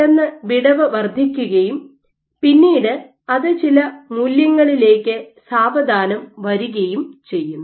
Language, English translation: Malayalam, So, there is an instantaneous increase in gap and then it slows down to some eventual value